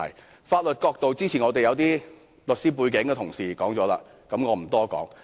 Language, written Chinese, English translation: Cantonese, 關於法律角度，早前有些律師背景的同事已說過，我不多說。, Talking about laws I will not go into the details of what some Members with legal background have already said earlier